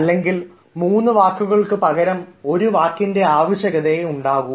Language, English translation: Malayalam, instead of three words, you can use one